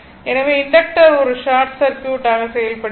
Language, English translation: Tamil, So, inductor will act as a short circuit